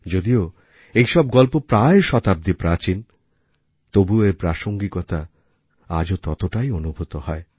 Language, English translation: Bengali, Though these stories were written about a century ago but remain relevant all the same even today